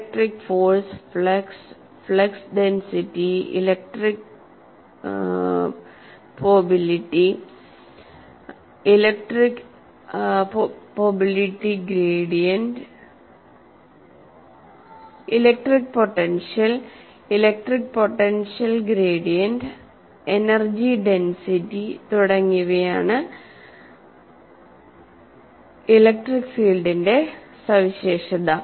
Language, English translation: Malayalam, What kind of for example here electric field is characterized by electric force, flux, flux density, electric potential, electric potential gradient, energy density and so on